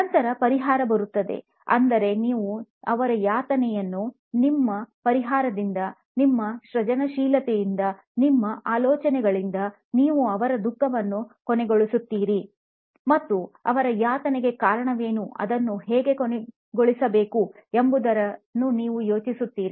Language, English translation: Kannada, Then comes solve, which is, you put an end to their suffering by offering your solutions, your creativity, your ideas coming and you solve what is it that they are suffering is and how to end that